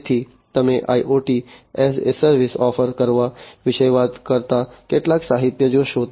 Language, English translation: Gujarati, So, you will find, you know, some literature talking about offering IoT as a service